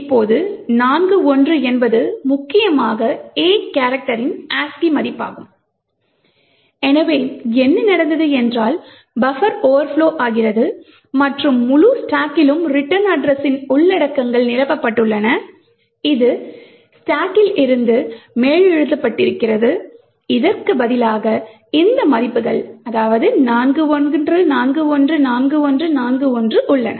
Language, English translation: Tamil, So what you notice over here is that the entire stack is filled with 41’s now 41 is essentially the ASCI value for the character A, so what has happened is that buffer is over flowed and the entire stack is filled with the contents of A return address which was present on the stack is also over written and what it is replaced with is these values 41414141